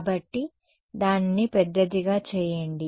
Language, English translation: Telugu, So, just make it bigger